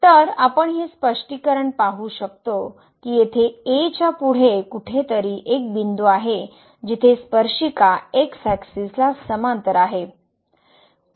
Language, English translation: Marathi, So, clearly we can observe that there is a point here somewhere next to this , where the tangent is parallel to the